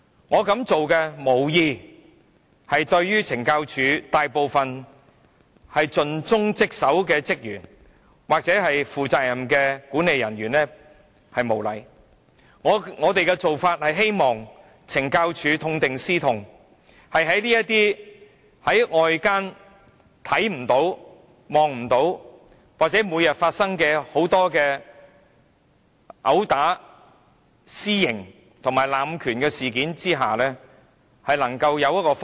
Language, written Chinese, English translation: Cantonese, 我無意對大部分盡忠職守的懲教署職員或負責任的管理人員無禮，我只是希望懲教署痛定思痛，針對外間看不見、每天在監獄中發生的毆打、濫用私刑和濫權事件，制訂改善方法。, I have no intention to show any disrespect for those dutiful CSD officers or responsible management personnel who are in the majority . I merely hope that CSD can reflect on its shortcomings and devise rectifications focusing on the incidents involving assault extrajudicial punishment and abuse of power that are not visible to the people outside and happen in prisons every day